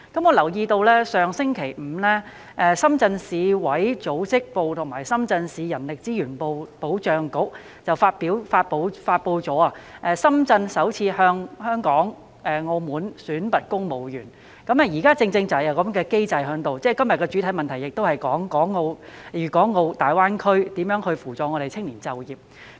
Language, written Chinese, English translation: Cantonese, 我留意到，上星期五，深圳市委組織部及深圳市人力資源保障局發布了深圳首次向香港、澳門選拔公務員，現時正正是有這個機制，而這項主體質詢亦關乎如何協助青年在大灣區就業。, I notice that last Friday the Organization Department of Shenzhen Municipal Committee of the Communist Party of China CPC and Human Resources and Social Security Bureau of Shenzhen Municipality announced that Shenzhen will for the first time select its civil servants in Hong Kong and Macao . The mechanism is rightly in place now and the main question asked about how the authorities will assist young people to seek employment in GBA